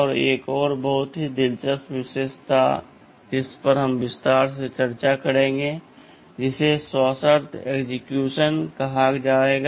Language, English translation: Hindi, And there is another very interesting feature we shall be discussing this in detail, called conditional execution